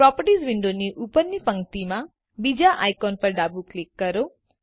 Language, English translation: Gujarati, Left click the third icon at the top row of the Properties window